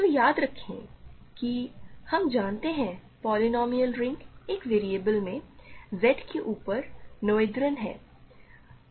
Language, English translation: Hindi, So, recall that, we know that the polynomial ring in one variable over Z is noetherian